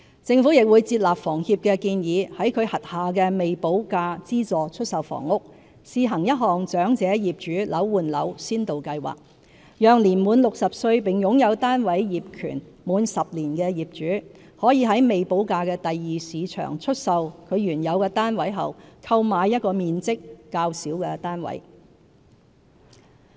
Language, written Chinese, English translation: Cantonese, 政府亦會接納房協的建議，在其轄下的未補價資助出售房屋試行一項"長者業主樓換樓先導計劃"，讓年滿60歲並擁有單位業權滿10年的業主，可在未補價的第二市場出售其原有單位後，購買一個面積較小的單位。, Furthermore the Government will accept the HKHSs recommendation to introduce a Flat for Flat Pilot Scheme for Elderly Owners for its SSFs with premium not yet paid . Under this scheme owners aged 60 or above who have owned their flats for at least 10 years can sell their original flats and then buy a smaller SSF flat in the secondary market without payment of premium